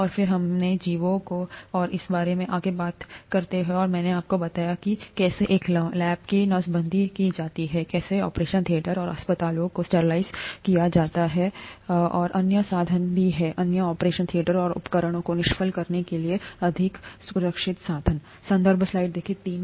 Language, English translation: Hindi, And then we talked about organisms and so on so forth and I told you how a lab is sterilized, how that can also be used to sterilize operation theatres and hospitals, and there are other means, other more, other more safer means of sterilizing operation theatres and instruments